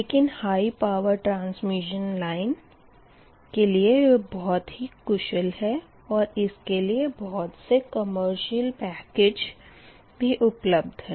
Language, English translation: Hindi, but for high power transmission line it is very efficient and commercial packages, commercially, pack packages are available, right